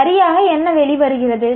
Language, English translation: Tamil, So what is an outcome